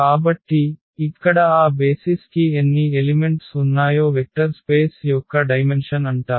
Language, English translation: Telugu, So, here the number how many elements are there, how many elements are there in that basis that is called the dimension of the vector space